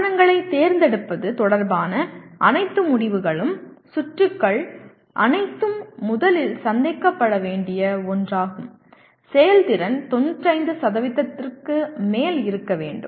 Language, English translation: Tamil, All decisions regarding the choice of devices, circuits everything should be first thing to be met is the efficiency has to above 95%